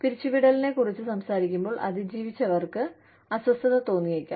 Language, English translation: Malayalam, When we talk about layoffs, the survivors, may feel uncomfortable